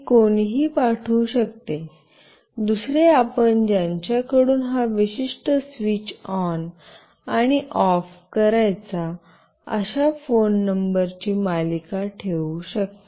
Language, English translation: Marathi, One anybody can send, another you can put series of phone numbers from whom you want this particular switch ON and OFF to happen